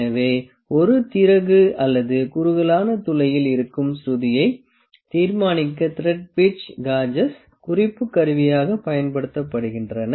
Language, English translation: Tamil, So, the thread pitch gauges are used as a reference tool in determining the pitch of a thread that is on the screw or in the tapered hole